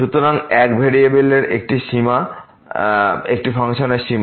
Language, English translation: Bengali, So, Limit of a Function of One Variable